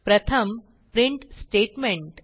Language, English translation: Marathi, The first one is the print statement